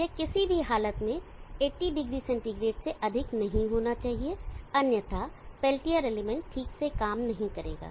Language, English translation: Hindi, It should not on any condition exceed 800 centigrade otherwise the Pelletier element will not operate properly